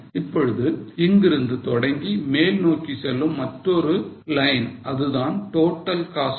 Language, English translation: Tamil, Now, from here onwards a line which goes up is a total cost line